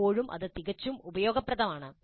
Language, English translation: Malayalam, Still, that is quite useful